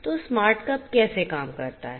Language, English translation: Hindi, So, how the smart cup works